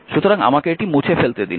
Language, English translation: Bengali, So, let me let me clean this one